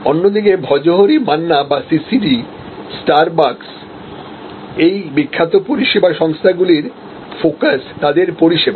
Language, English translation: Bengali, On the other hand, Bhojohori Manna or CCD, Starbucks, many of these famous service outlets, they are focussed of the services